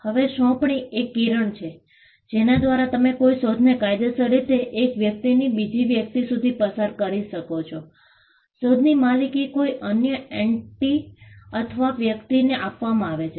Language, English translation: Gujarati, Now, assignment is the ray by which you can legally pass on an invention from one person to another; the ownership of an invention is passed on to another entity or another person